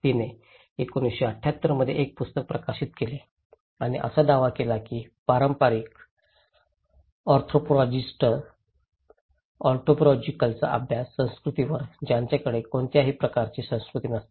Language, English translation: Marathi, She published a book in 1978 and claiming that the traditional anthropologists; anthropological studies on culture, they are lacking any category of culture